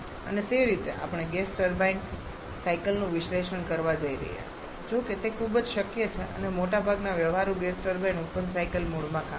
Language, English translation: Gujarati, And that is a way we are going to analyze the gas turbine cycles though it is very much possible and most of the practical gas turbines work in the open cycle mode